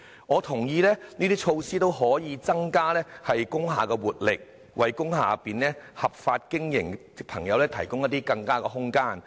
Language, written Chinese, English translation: Cantonese, 我同意這些措施均可增加工廈的活力，為在工廈內合法經營的朋友提供更佳空間。, I agree that these initiatives can help revitalize industrial buildings and provide a better environment to people operating lawful businesses inside these buildings